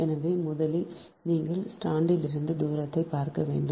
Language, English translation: Tamil, so first you have to see the distance from the strand one, so this is